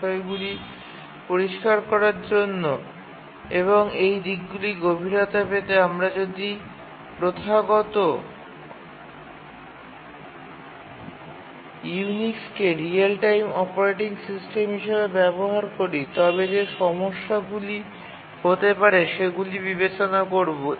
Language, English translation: Bengali, To make the issues clear and to get a deeper insight into these aspects, we will consider what problems may occur if the traditional Unix is used as a real time operating system